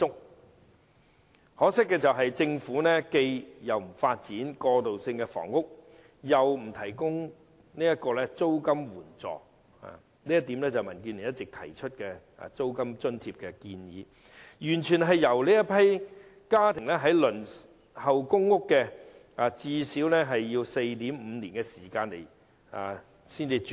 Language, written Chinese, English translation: Cantonese, 很可惜，政府既不發展過渡性房屋，又不接納民主建港協進聯盟的建議提供租金津貼，完全任由這些家庭最少須輪候 4.5 年才能"上樓"。, Regrettably the Government neither develops transitional housing nor accepts the proposal of the Democratic Alliance for the Betterment and Progress of Hong Kong to provide rent allowance . Instead it just leaves these households to wait at least 4.5 years for PRH unit allocation